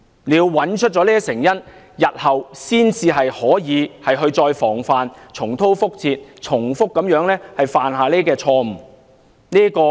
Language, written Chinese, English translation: Cantonese, 只有找出這些成因，才可以防範日後重蹈覆轍、避免重複犯下這些錯誤。, Only through finding out such causes can we avoid repeating the same mistakes in future